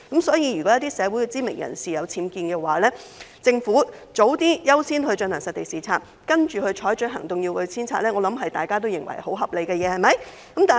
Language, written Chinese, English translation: Cantonese, 所以，如果一些社會知名人士的住所有僭建物，政府盡早優先進行實地視察，然後採取行動，要求遷拆，相信大家都認為是合理的做法。, Hence if there are UBWs at the residences of community celebrities I believe we all agree that it will be reasonable for the Government to accord priority to site inspections on those UBWs without delay and then take actions impartially requiring the owners to remove the UBWs